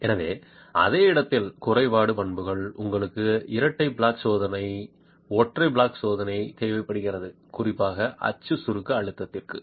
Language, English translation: Tamil, So in situ deformability characteristics you require a double flat jack test, single flat jack test is particularly for the axial compressive stress